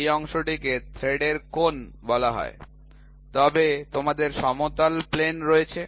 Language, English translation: Bengali, This is this portion is called the angle of thread so, but you have flat plane